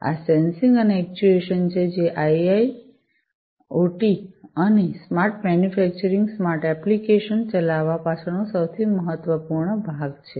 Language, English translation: Gujarati, So, this is this sensing and actuation, which is basically the most important part behind driving IIoT and the smart manufacturing, smart factory applications